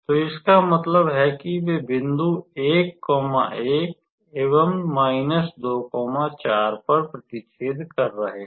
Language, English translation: Hindi, So that means, they are intersecting at the point 1, 1